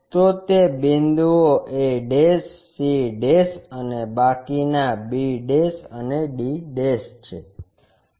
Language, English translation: Gujarati, So, those points are a', c' and the rest of them b' and d'